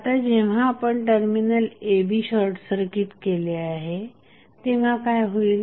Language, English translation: Marathi, Now, when you will when you short circuit the terminal a, b what will happen